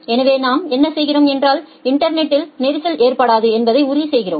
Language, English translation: Tamil, So, what we are doing, that we are ensuring that congestion does not occur in the internet